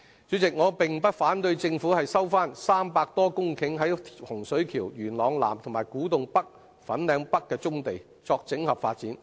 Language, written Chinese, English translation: Cantonese, 主席，我並不反對政府收回300多公頃位於洪水橋、元朗南、古洞北、粉嶺北的棕地作整合發展。, President I do not object to the Governments recovery of over 300 hectares of brownfield sites located in Hung Shui Kiu Yuen Long South Kwu Tung North and Fanling North for comprehensive development